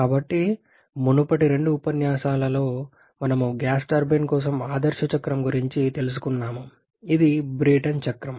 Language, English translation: Telugu, So over previous two lectures we have learnt about the ideal cycle for the gas turbine, which is the Brayton cycle